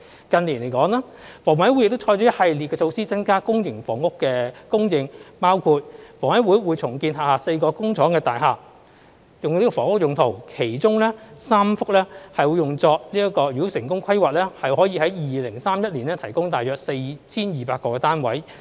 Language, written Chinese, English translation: Cantonese, 近年，香港房屋委員會亦採取一系列的措施，增加公營房屋的供應，包括房委會將會重建轄下4幢工廠大廈，用作房屋用途，其中3幢，如成功規劃，可於2031年提供大約 4,200 個單位。, In recent years the Hong Kong Housing Authority HA also adopts a series of measures to increase public housing supply which including the redevelopment of four of its factory estates by HA for housing use . Subject to successful planning three of them will be able to provide around 4 200 units in 2031